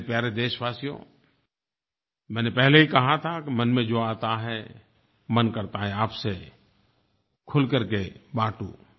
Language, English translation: Hindi, My dear countrymen, I had even said earlier that whatever comes to mind, I want to express it with you openly